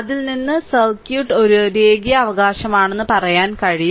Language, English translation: Malayalam, So, from that you can tell circuit is a linear right